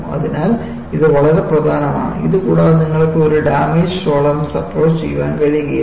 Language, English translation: Malayalam, So, this is very important, without which you will not be able to do a damage tolerance approach